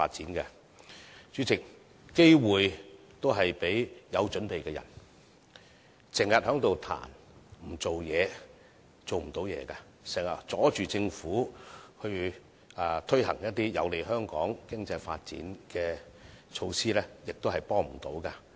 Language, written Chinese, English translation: Cantonese, 經常批評卻不做事的人，是無法成事的，經常阻礙政府推行有利香港經濟發展的措施，無助香港前進。, Those who always criticize but do nothing will not achieve anything . If they always obstruct the Government in carrying out some measures beneficial to the economic development of Hong Kong it will be difficult for Hong Kong to move forward